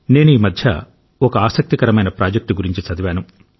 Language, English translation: Telugu, Recently I was reading about an interesting project